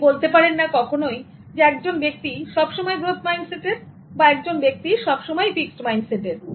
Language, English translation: Bengali, So you cannot say that this person always has a fixed mindset and this person always has a growth mindset